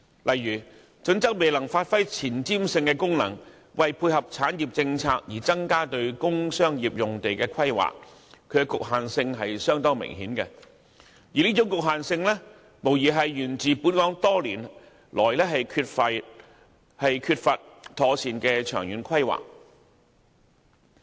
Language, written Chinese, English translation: Cantonese, 例如《規劃標準》欠缺前瞻性，未有配合產業政策而增加工商業用地的規劃，明顯存在局限性，反映本港多年來缺乏妥善的長遠規劃。, For instance as HKPSG is not forward - looking enough no planning has been made to increase the provision of industrial and commercial sites to dovetail with the Governments industrial policy . It is thus clear that HKPSG has its limitations and no sound long - term planning has been made for Hong Kong over the years as a result